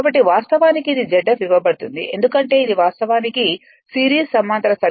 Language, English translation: Telugu, So, this is actually it is given Z f right because this is actually series parallel circuit